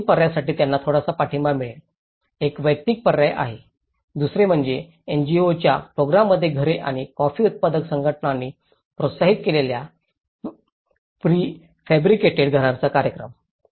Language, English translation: Marathi, For these 3 options, they have been getting some support, one is the individual option, the second one is houses from other NGOs programs and a program of prefabricated houses promoted by the coffee grower’s organizations